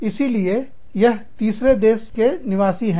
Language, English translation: Hindi, So, this is the third country nationals